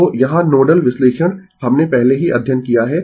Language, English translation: Hindi, So, here nodal analysis we have already studied